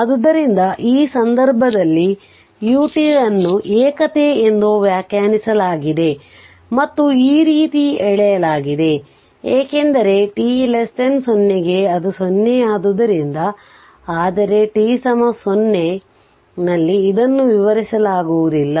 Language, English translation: Kannada, So, ah in for this case u t is defined this is unity and and this is like this we have drawn because for t less than 0 it is your 0 so, but at t is equal to 0 your your what you call it is undefined